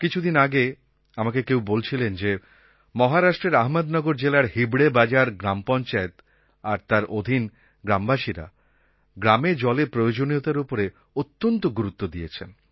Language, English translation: Bengali, I was recently told that in Ahmednagar district of Maharashtra, the Hivrebazaar Gram Panchayat and its villagers have addressed the problem of water shortage by treating it as a major and delicate issue